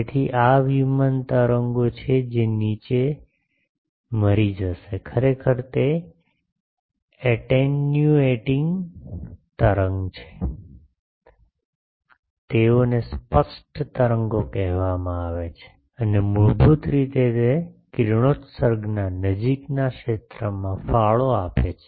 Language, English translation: Gujarati, So these are plane waves which will die down, actually they are attenuating wave, they are called evanescent waves and basically they contribute to the near zone of the radiations